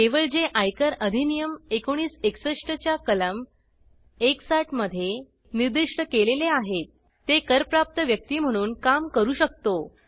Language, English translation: Marathi, Only those specified in Section 160 of the Income tax Act, 1961 can act as representative assessees